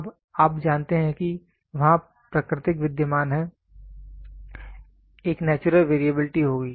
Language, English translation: Hindi, Now, you know there is natural existing there is a natural variability will be there